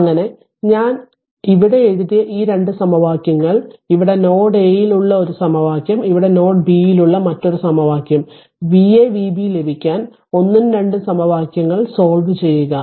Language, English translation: Malayalam, So, those 2 equations I have written here, here is one equation at node a another equation at node b and solve this equation 1 and 2 for V a and V b